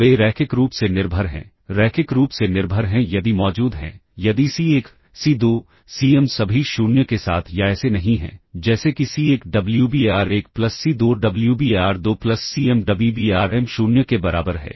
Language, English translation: Hindi, They are linearly dependent, linearly dependent if there exists, if there exist C1, C2, Cm not all 0 with or such that, such that C1 Wbar1 plus C2 Wbar2 plus Cm Wbarm equals 0